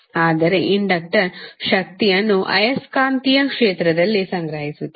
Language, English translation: Kannada, But the inductor store energy in the magnetic field